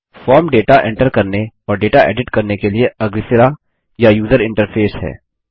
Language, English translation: Hindi, A form is a front end or user interface for data entry and editing data